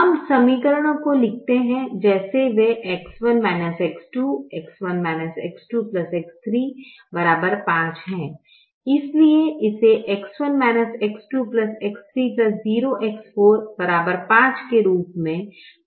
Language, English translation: Hindi, here we write the equations as they are: x one minus x, two, x one minus x, two plus x three, equal to five